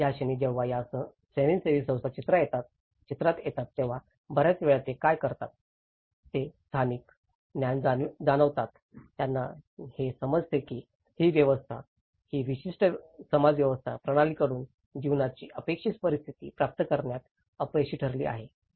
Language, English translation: Marathi, So, the moment when these NGOs when these agencies come into the picture, many at times what they do is they perceive the local knowledge, they perceive that this system, this particular social system has failed to receive the expected conditions of life from the system